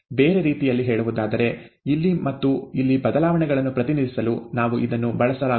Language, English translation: Kannada, In other words, we cannot use it to represent things changes here, and changes here